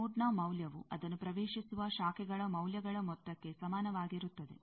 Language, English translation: Kannada, Value of a node is equal to the sum of the values of the branches entering it